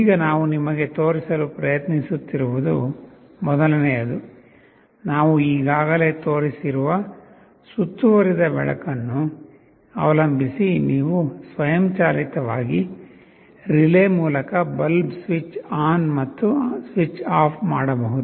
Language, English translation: Kannada, Now the kind of an environment that we are trying to show you is suppose first one is the one that we have already shown earlier depending on the ambient light you can automatically switch on a switch off a bulb through a relay